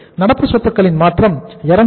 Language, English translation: Tamil, That change in the current assets is 0